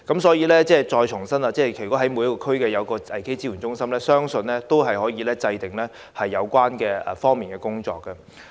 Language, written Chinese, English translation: Cantonese, 所以，要重申的是，如果每區都能設立危機支援中心，相信可以有系統地制訂有關工作。, Hence I have to reiterate that if a crisis support centre can be set up in each region I believe that the work concerned can be planned in a systematic way